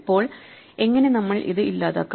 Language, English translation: Malayalam, Now, how would we delete it